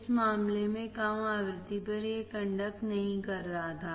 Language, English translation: Hindi, In this case, at low frequency, it was not conducting